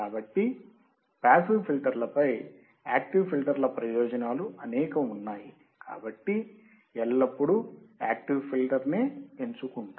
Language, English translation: Telugu, So, there are many advantages of active filters over passive filters, one will always go for the active filter